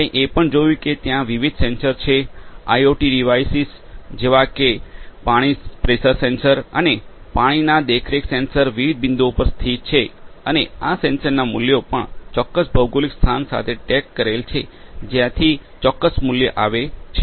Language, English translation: Gujarati, We have also seen that there are different sensors, IOT devices like you know water pressure sensor and different other water monitoring sensors are located at different points and these values, the sensor values also come tagged with the specific geo location from where that particular value has come